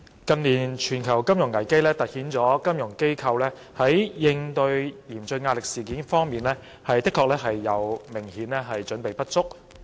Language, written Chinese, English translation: Cantonese, 近年全球金融危機凸顯金融機構在應對嚴峻壓力方面，明顯準備不足。, The global financial crises in recent years have exposed the inadequacy of financial institutions FIs in countering severe stress